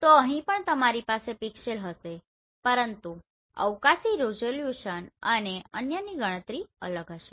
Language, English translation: Gujarati, So here also you will have pixel, but the calculation of spatial resolution and others will be different